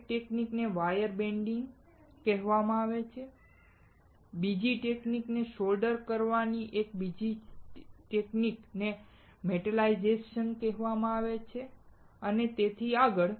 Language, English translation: Gujarati, One of the techniques is called wire bonding, other technique is soldering another technique is called metallization and so on and so forth